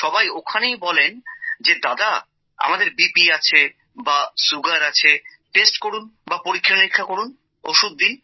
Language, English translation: Bengali, Everyone there asks that brother, we have BP, we have sugar, test, check, tell us about the medicine